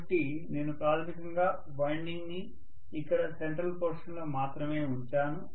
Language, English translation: Telugu, So I may have basically the winding rather put up only here in the central portion